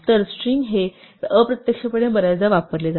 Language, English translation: Marathi, So, str is implicitly used very often